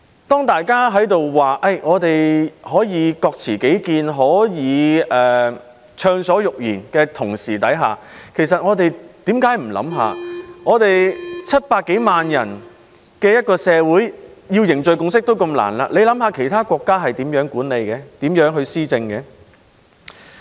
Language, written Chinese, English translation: Cantonese, 當大家說可以各持己見、暢所欲言的同時，為何不想想只有700多萬人口的社會要凝聚共識也那麼難，那麼其他國家該如何管理和施政呢？, While some people vow that everyone can express different views and speak his mind freely why dont they think about how hard it is for other countries to manage and govern when it is so difficult for a place having only 7 - odd million people to forge a consensus?